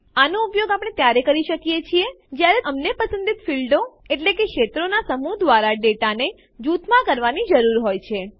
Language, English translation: Gujarati, This is used whenever we need to group the data by a set of selected fields